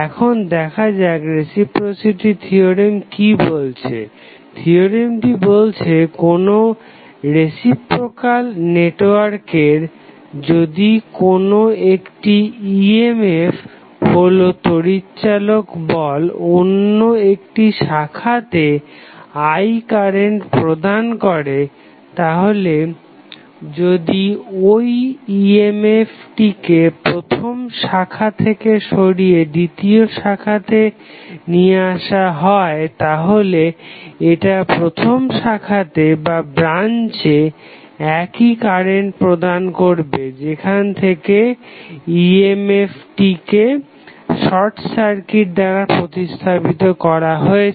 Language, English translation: Bengali, Now, let us see what do you mean by reciprocity theorem the theorem says that if an EMF E, EMF is nothing but electro motive force E in 1 branch of reciprocal network produces a current that is I in another branch, then, if the EMF is moved from first to the second branch, it will cause the same current in the first branch where EMF has been replaced by a short circuit